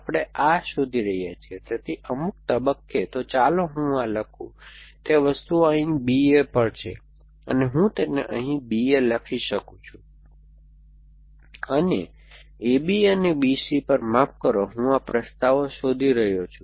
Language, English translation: Gujarati, We are looking for, so at some stage, so let me write that, those things here on B A and, I can write them here on B A and, sorry on A B and on B C, I am looking for these propositions